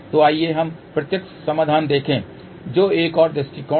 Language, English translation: Hindi, So, let us look at the direct solution which is the another approach